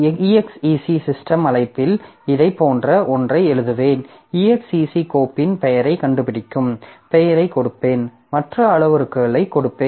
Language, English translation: Tamil, So, what I will do in the exec system call I will write something like this, I will give the name of the file find roots and I will give other parameters